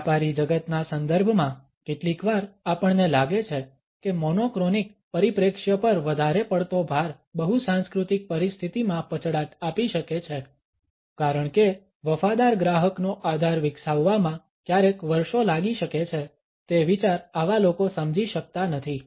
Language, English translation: Gujarati, In the context of the business world sometimes we find that too much of an emphasis on monochronic perspective can backfire in a multicultural setting because the idea that sometimes it may take years to develop a loyal customer base is not understood by such people